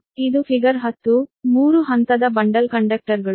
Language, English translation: Kannada, this is that this is figure ten, the three phase bundled conductors